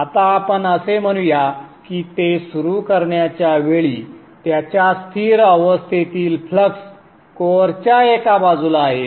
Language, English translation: Marathi, Now let us say the flux are in the steady state, at the point of starting it is at one side of the core